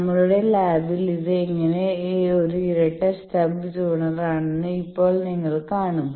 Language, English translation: Malayalam, Now, you see how this is a double stub tuner in our lab